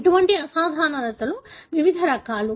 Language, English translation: Telugu, Such abnormalities are various types